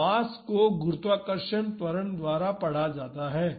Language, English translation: Hindi, So, masses read by gravitational acceleration